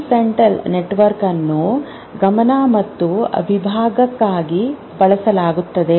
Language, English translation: Kannada, And prefrontal network for attention and compartment